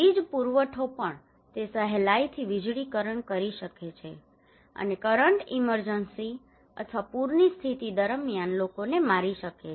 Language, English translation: Gujarati, Also the electricity supply; it can easily electrified, and current can kill people during emergency or flood inundations